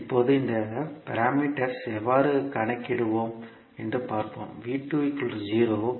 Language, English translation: Tamil, Now, let us see how we will calculate these parameters